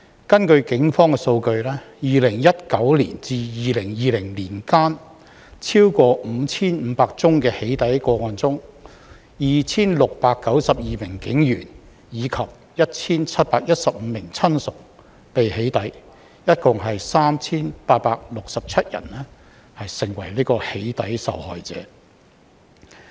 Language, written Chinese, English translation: Cantonese, 根據警方數據 ，2019 年至2020年間，超過 5,500 宗的"起底"個案中 ，2,692 名警員及 1,715 名親屬被"起底"，共 3,867 人成為"起底"受害者。, According to the data from the Police between 2019 and 2020 in over 5 500 doxxing cases 2 692 police officers and their 1 715 relatives were doxxed and a total of 3 867 people became victims of doxxing